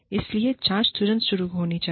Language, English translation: Hindi, So, investigation should start, immediately